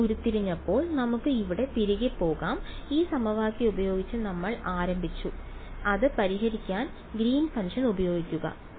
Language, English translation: Malayalam, When we derived this let us go back over here we started with this equation and use the Green's function to solve it